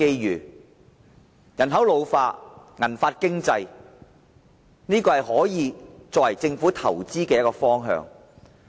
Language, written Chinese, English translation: Cantonese, 隨着人口老化，銀髮經濟可以成為政府投資的一個方向。, As the population is ageing silver hair economy may be an investment direction for the Government